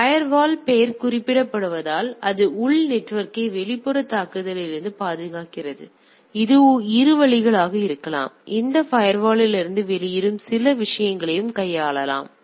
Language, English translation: Tamil, So, firewall as the name suggest it protects the internal network from the external attack right; it can be both way also some of the things going out of this firewall also can be handled